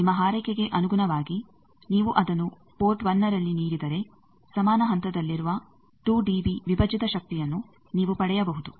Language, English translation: Kannada, Now, depending on your wish if you give it at port 1 you can get that the 2 dB divided powers they are at equal phase